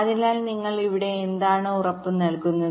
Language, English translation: Malayalam, so what do you guarantee here